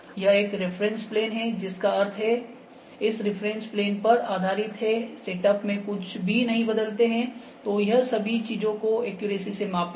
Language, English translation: Hindi, This is a reference plane, that means, every based on this reference plane if we do not change anything in the in the setup it will measure all the things accurately